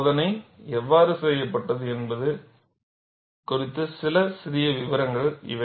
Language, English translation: Tamil, These are certain minor details on how the experiment was done